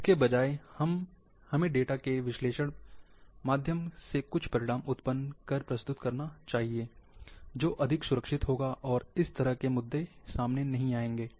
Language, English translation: Hindi, Instead,we produce some results, out of the data, through the analysis, that would be safer and such issues might not come